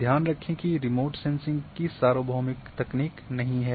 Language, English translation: Hindi, Remote sensing is also not a universal technique